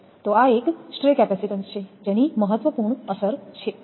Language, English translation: Gujarati, So these are these stray capacitance have an important effect